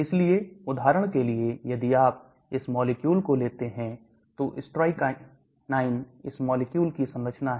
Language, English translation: Hindi, So for example if you take this molecule, strychnine this is the structure of this molecule